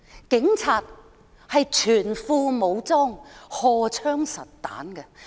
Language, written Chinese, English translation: Cantonese, 警察是全副武裝、荷槍實彈的。, The Police are fully armed with loaded guns